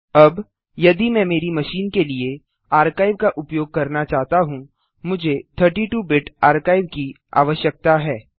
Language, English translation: Hindi, Now if I want to use the archive, for my machine, I need 32 Bit archive